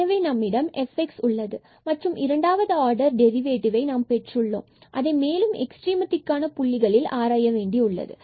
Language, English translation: Tamil, So, we have this f x and we need to get the second order derivative to further investigate these points for the extrema